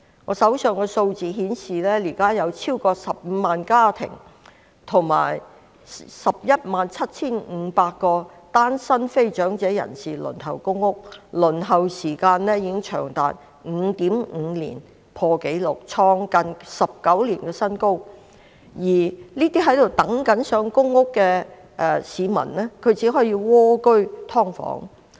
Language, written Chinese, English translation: Cantonese, 我手邊的數字顯示，現時有超過15萬個家庭和 117,500 名單身非長者人士正在輪候公屋，輪候時間長達 5.5 年，創近19年新高，而這些正在輪候公屋的市民只可以蝸居"劏房"。, The figures on hand indicate that at present over 150 000 families and 117 500 non - elderly singletons are waiting for PRH . The waiting time has reached 5.5 years hitting a record high in nearly 19 years . These people waiting for PRH can only dwell in cramped subdivided units